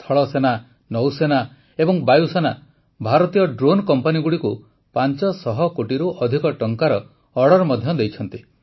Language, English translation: Odia, The Army, Navy and Air Force have also placed orders worth more than Rs 500 crores with the Indian drone companies